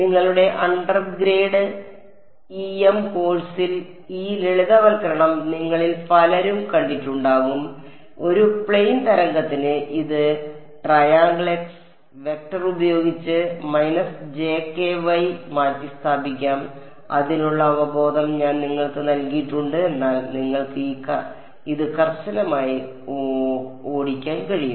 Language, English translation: Malayalam, Many of you may have seen this simplification in your undergrad EM course that for a plane wave I can replace this del cross by just a minus j k vector I just gave you the intuition for it, but you can drive it rigorously yourself ok